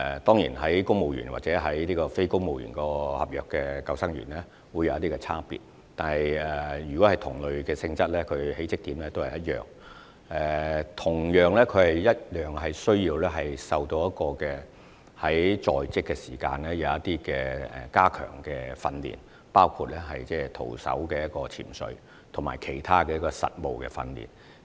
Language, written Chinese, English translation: Cantonese, 當然，公務員或非公務員合約的救生員會有一些差別，但如果是同類性質的，入職點也是一樣，並同樣需要接受一些在職加強訓練，包括徒手潛水及其他實務訓練。, Certainly there are some differences between civil service lifeguards and NCSC lifeguards . Yet the entry point is the same for posts of the same nature . They are invariably required to receive in - service enhancement training including skin - diving and other practical training